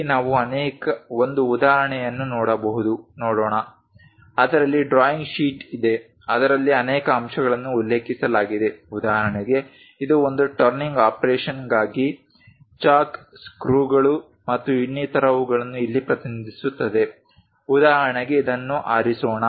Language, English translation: Kannada, Let us look at an example here we have a drawing sheet on which there are many components mentioned for example, its a for a turning operation the chalk screws and other things here is represented for example, let us pick this one